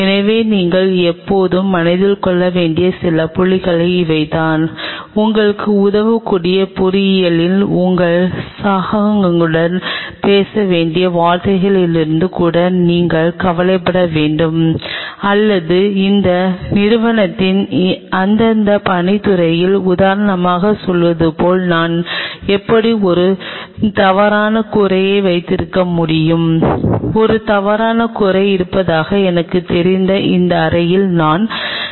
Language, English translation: Tamil, So, these are some of the points what you always have to keep in mind even you have to be concerned from the word where you have to talk to your colleagues in engineering who may help you, or in your respective works department of the institute that how I can have a false roof like say for example, I am standing in this room where I know there is a false roof